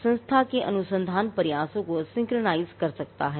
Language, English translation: Hindi, One, it can synchronize the research efforts of an institution